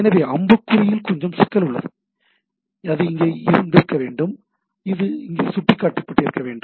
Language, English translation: Tamil, So, there is little bit problem in the arrow, it should have been here, and this should have pointed here, right